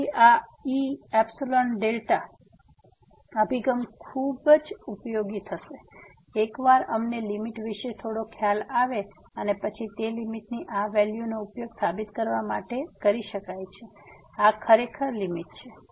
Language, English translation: Gujarati, So, this epsilon delta approach will be very useful once we have some idea about the limit and then, this value of the limit can be used to prove that this is indeed the limit